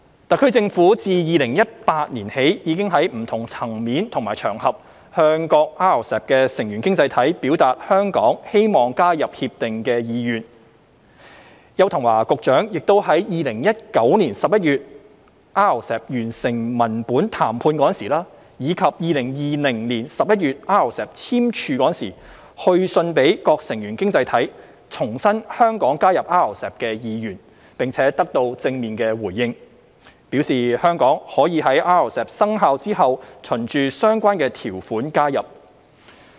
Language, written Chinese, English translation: Cantonese, 特區政府自2018年起已在不同層面和場合向各 RCEP 成員經濟體表達香港希望加入 RCEP 的意願，邱騰華局長亦於2019年11月 RCEP 完成文本談判時，以及2020年11月 RCEP 簽署時，去信各成員經濟體，重申香港加入 RCEP 的意願，並得到正面回應，表示香港可在 RCEP 生效後循相關條款加入。, Since 2018 the SAR Government has indicated to individual RCEP participating economies at various levels and on various occasions Hong Kongs keen interest in joining RCEP . When the text - based negotiations were concluded in November 2019 and RCEP was signed in November 2020 Secretary Edward YAU wrote to individual RCEP participating economies reiterating Hong Kongs interest in joining RCEP . Positive responses were received and they indicated that Hong Kong may apply for accession in accordance with the relevant provisions after RCEP enters into force